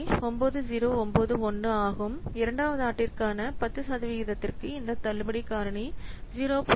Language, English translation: Tamil, 9091 for 10% interest for second year this discounted factor is 0